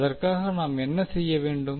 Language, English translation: Tamil, So for that, what we need to do